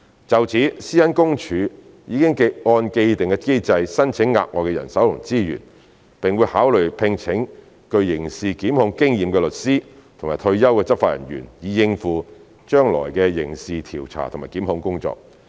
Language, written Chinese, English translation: Cantonese, 就此，個人資料私隱專員公署已按既定機制申請額外的人手和資源，並會考慮聘請具刑事檢控經驗的律師或退休的執法人員，以應付將來的刑事調查和檢控工作。, In this regard the Office of the Privacy Commissioner for Personal Data PCPD has applied for additional manpower and resources in accordance with the established mechanism and will consider recruiting lawyers with criminal prosecution experience or retired law enforcement officers to cope with future criminal investigation and prosecution work